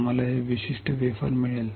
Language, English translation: Marathi, We will get this particular wafer